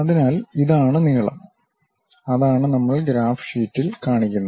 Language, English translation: Malayalam, So, this is the length; what we are showing it on the graph sheet